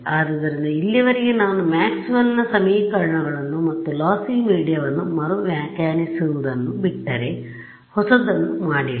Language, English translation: Kannada, So, so far I have not done anything new except just reinterpret Maxwell’s equations and lossy media right there is no mention whatsoever of PML ok